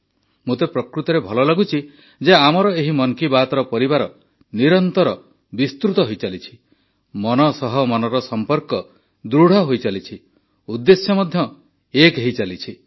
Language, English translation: Odia, I really feel good for the fact that this Mann Ki Baat family of ours is continually growing…connecting with hearts and connecting through goals too